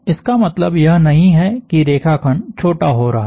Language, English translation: Hindi, That does not mean that the line segment is shortening